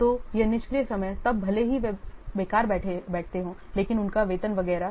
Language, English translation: Hindi, So this idle time then even if they sit idle but they are salary etc